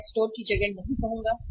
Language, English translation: Hindi, I will not say replace the store